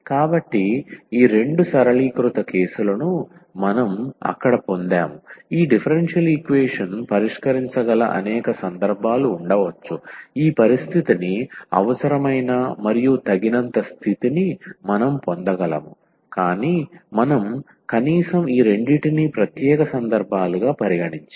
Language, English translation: Telugu, So, we got these two simplified cases there as I said there can be many more cases where we can solve this differential equation this condition necessary and sufficient condition to get this I, but we have considered at least these two which is special cases